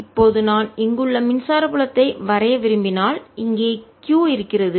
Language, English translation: Tamil, now, if i want to plot, the electric field, here is q